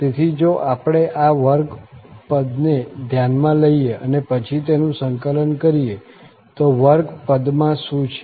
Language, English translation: Gujarati, So, if we consider this square and then integrate, so, what is there in the square